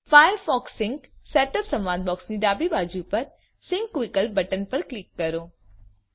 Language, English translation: Gujarati, The setup is complete Click on the sync option button on the left of the firefox sync setup dialog box